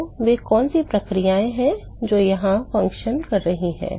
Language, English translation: Hindi, So, what are the processes which are acting here